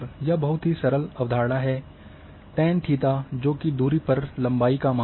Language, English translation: Hindi, Very simple concept here, say tan theta that is rise over run